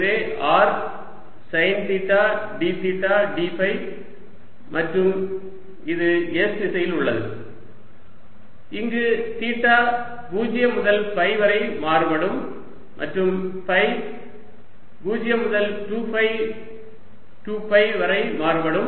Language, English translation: Tamil, there's a d theta here, so r sine theta d theta d phi, and it's in s direction where theta varies from zero to pi and phi varies from zero to two pi